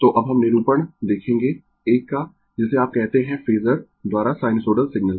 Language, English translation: Hindi, So now, will now we will see the representation of an your what you call sinusoidal signal by phasor, right